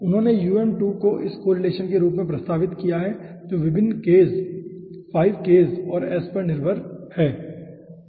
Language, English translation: Hindi, okay, he has proposed um2 to as this correlation right, which is dependent on different ks, 5 ks and s